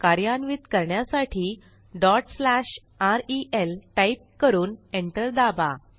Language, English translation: Marathi, To execute type ./rel Press Enter